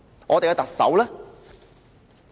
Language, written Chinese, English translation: Cantonese, 我們的特首呢？, What about our Chief Executive?